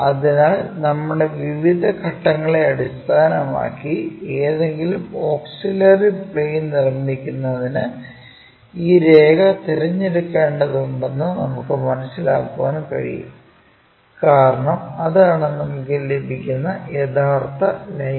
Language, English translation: Malayalam, So, based on our steps, we can sense that this line we have to pick for constructing any auxiliary planes and views because that is the true line what we can get